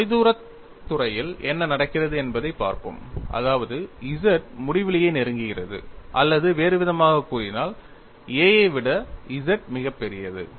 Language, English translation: Tamil, We are going to look at what happens at the far field; that means, small zz approaches infinity or in other words z is much larger than a